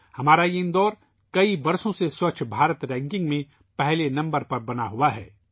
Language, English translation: Urdu, Our Indore has remained at number one in 'Swachh Bharat Ranking' for many years